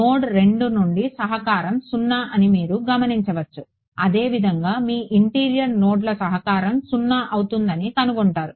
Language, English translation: Telugu, You notice that the contribution from node 2 was 0 so; similarly you will find that the contribution from interior nodes becomes 0 ok